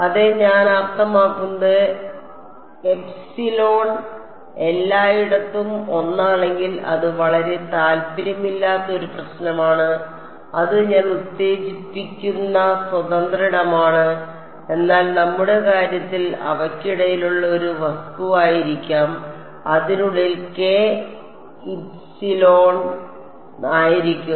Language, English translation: Malayalam, Yeah I mean if epsilon is one everywhere it's a very uninteresting problem it is free space that I am stimulating right , but in our in our case they might be an object in between and that k will epsilon mu inside it we just keeping it a k squared fellow